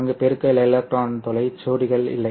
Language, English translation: Tamil, There is no multiplication of the electron hole pairs involved there